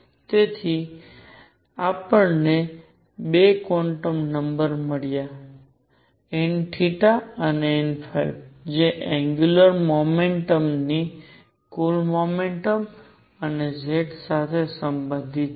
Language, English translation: Gujarati, So, we have found 2 quantum numbers n theta and n phi related to the total momentum and z of angular momentum